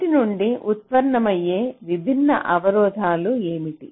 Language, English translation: Telugu, what are the different constraints that arise out of these things